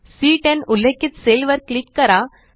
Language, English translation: Marathi, Click on the cell referenced as C10